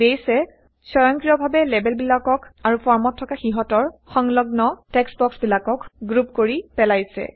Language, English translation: Assamese, Base automatically has grouped the labels and corresponding textboxes in the form